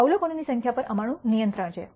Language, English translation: Gujarati, We have control over the of number of observations